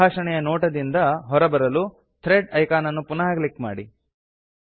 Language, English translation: Kannada, To come out of the Thread view, simply click on the Thread icon again